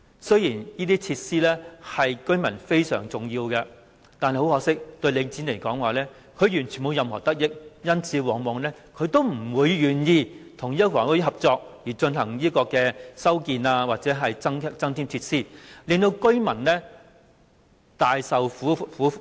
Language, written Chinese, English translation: Cantonese, 雖然這些設施對居民非常重要，但很可惜，由於這些設施對領展而言完全沒有任何得益，因此，它往往不會願意與房委會合作，進行修建或增添設施，令居民受苦。, Although these facilities are very important to the residents regrettably as the facilities do not in any way benefit Link REIT Link REIT is usually unwilling to cooperate with HD in carrying out alterations or increasing the provision of facilities thus making the residents suffer